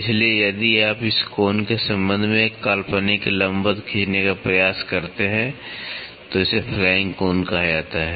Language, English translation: Hindi, So, if you try to draw an imaginary perpendicular with respect to this angle, it is called as flank angle